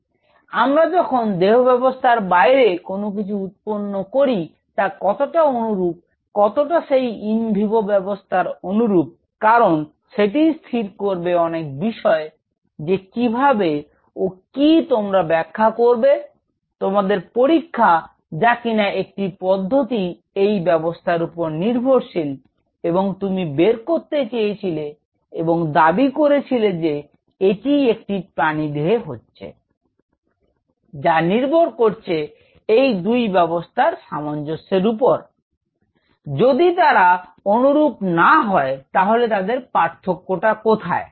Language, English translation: Bengali, So, how close when we are growing something outside the system, how close we are to the in vivo set up because that will determine a lot of things that how what you are interpreting you experimental interpretation of using a technique based on this and you wanted to extra polite and claim that this is what is happening in an animal will depend whole lot on how close these 2 systems are, if they are not close enough how far they are